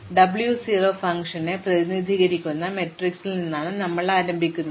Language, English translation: Malayalam, So, we start off with matrix representing the function W 0